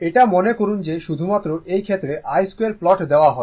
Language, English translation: Bengali, This is suppose, only only in the only in this case i square plot is given right